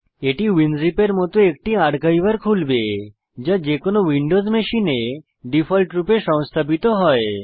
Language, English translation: Bengali, It will open in an archiver like Winzip, which is installed by default on any windows machine